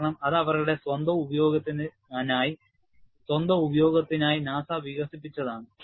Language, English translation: Malayalam, Because, this is developed by NASA, for their own use